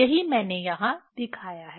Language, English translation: Hindi, That is what I have shown here